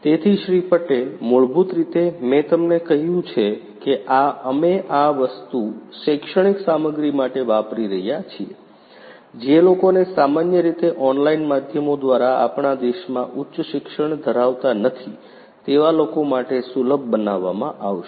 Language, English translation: Gujarati, Patel basically as I have told you that we are using this thing for educational content which will be made accessible to people who do not normally have high end education in our country through online media